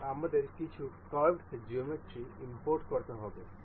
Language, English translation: Bengali, And we need to import some curved geometry